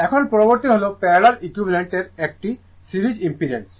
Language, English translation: Bengali, Now, next is that parallel equivalent of a series impedance right